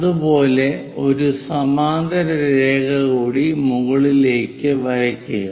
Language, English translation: Malayalam, Similarly, draw one more parallel line all the way up